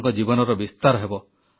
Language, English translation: Odia, Your life will be enriched